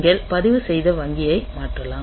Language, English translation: Tamil, So, you can just switch the registered bank